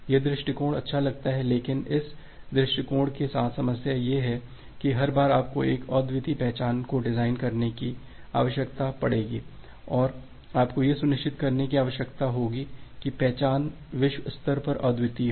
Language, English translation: Hindi, Now this approach looks good, but the problem with this approach is that every time you need to design a unique identifier and you need to ensure that identifies is unique globally